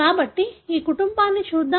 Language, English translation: Telugu, So, let’s look into this family